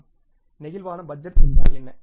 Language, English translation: Tamil, What is the flexible budget